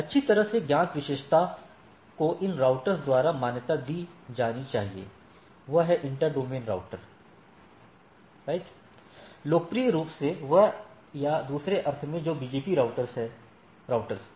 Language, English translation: Hindi, So, well known attribute should be recognized by these routers; that is, inter domain routers right, popularly that or in other sense that BGP routers